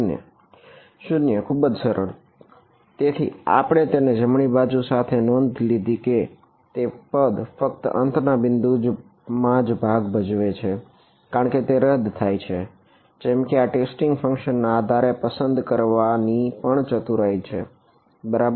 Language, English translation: Gujarati, 0 so, very easy; so, we notice this with this right hand side term comes into play only at the end points because it gets cancelled like this is a clever choice of basis of testing function also right very good